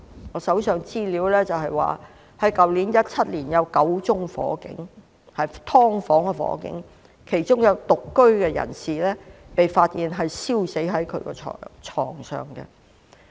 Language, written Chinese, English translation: Cantonese, 我手上的資料顯示，去年2017年，有9宗發生在"劏房"的火警，其中有獨居人士被發現燒死在床上。, As shown by the information on hand last year ie . 2017 there were nine cases of fire which broke out in subdivided units . In one of the cases a singleton was found burnt to death on the bed